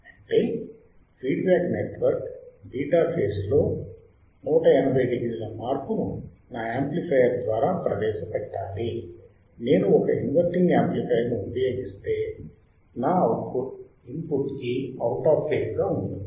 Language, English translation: Telugu, That means that my beta that is feedback network should introduce a phase shift of 180 degree if my amplifier is an inverting amplifier which is causing my output to be out of phase with respect to input